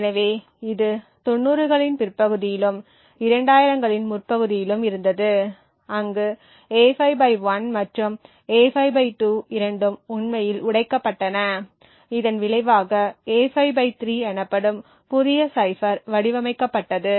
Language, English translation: Tamil, So, this was in the late 90’s and early 2000’s where both A5/1 and A5/2 were actually broken and it eventually resulted in a new cipher known as the A5/3 that was designed